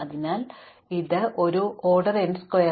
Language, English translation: Malayalam, So, we are still at order n square